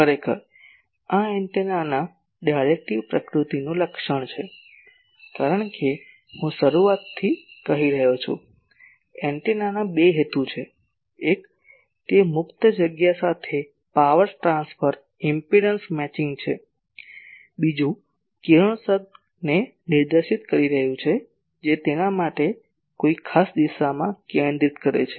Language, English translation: Gujarati, Actually , this is the characterization of directive nature of the antenna as I am saying from the beginning , antenna has two purposes; one is it is power transfer impedance matching with the free space, another is directing the radiation make it focused in a particular direction